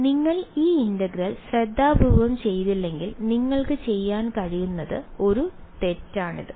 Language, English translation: Malayalam, So, that is one mistake that you could do if you did not do this integral carefully ok